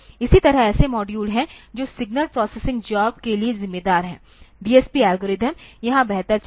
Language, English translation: Hindi, Similarly there are modules that are responsible for signal processing job, the DSP algorithms will be running better here